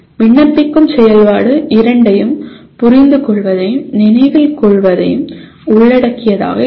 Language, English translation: Tamil, Apply activity will involve or likely to involve understand and remember both